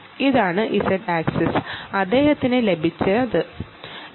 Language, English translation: Malayalam, sorry, the ah, this is the z axis, the z axis